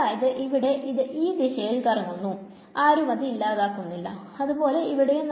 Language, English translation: Malayalam, So, over here it is going in this direction; no one to cancel it similarly here, similarly here